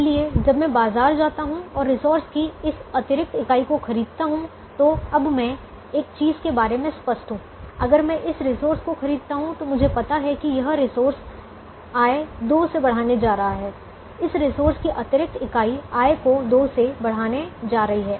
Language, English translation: Hindi, so when i go to the market and buy this extra unit of the resource, now i am keen about one thing: if i can buy this resource, i know that this resource is going to increase the revenue by two